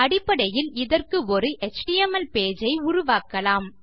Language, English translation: Tamil, Basically,Im going to create an HTML page